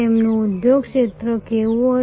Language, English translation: Gujarati, What will be their industry sector